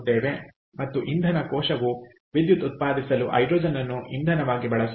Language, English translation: Kannada, so fuel cell actually uses hydrogen, as i said, as an energy source